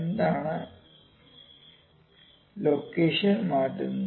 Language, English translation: Malayalam, What changes the location